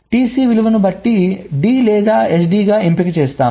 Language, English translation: Telugu, so, depending on the value of t c, either d or s d is selected